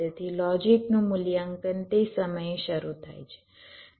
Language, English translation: Gujarati, ok, so logic evaluation begin at that time